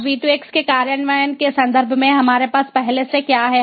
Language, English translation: Hindi, now what do we already have in terms of implementation of v to x